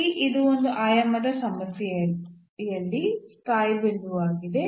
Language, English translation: Kannada, So, here this is a stationary point in this one dimensional problem